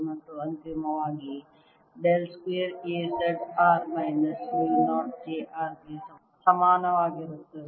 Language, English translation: Kannada, and finally, del square a z of r is equal to minus mu zero j z of r